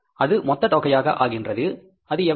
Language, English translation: Tamil, What is this a total amount is